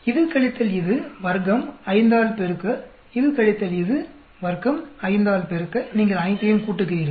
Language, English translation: Tamil, This minus this, square, multiply by 5, this minus this, square, multiply by 5, then you add up all of them